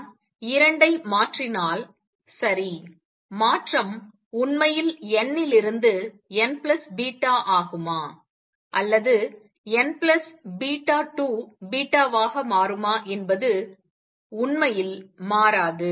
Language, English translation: Tamil, If I switch the 2, right, it does not really change whether transition is from n to n plus beta or n plus beta 2 beta